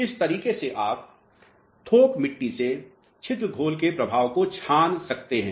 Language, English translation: Hindi, So, this is the way you are filtering out the effect of pore solution from the bulk soil mass